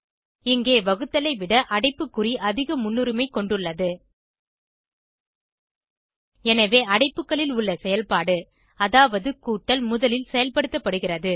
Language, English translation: Tamil, In this case () bracket has the higher priority than division So the operation inside the bracket that is addition is performed first